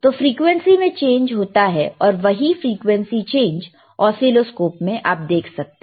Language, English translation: Hindi, the sSo, this is there is the change in the frequency and the same frequency you can see the change in the oscilloscope excellent